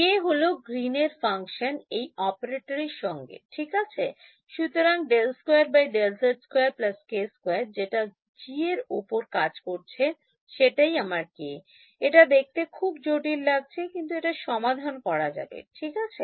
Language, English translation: Bengali, K is Green's function with this operator right this so, d by d z square plus k squared acting on G that is my K it looks complicated, but it can be evaluated ok